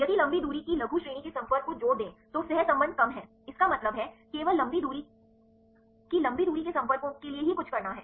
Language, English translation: Hindi, If add the long range short range contact then the correlation is less; that means, there is something to do with only for the long range long range contacts right